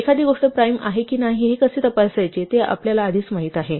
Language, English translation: Marathi, We already know how to check if something is a prime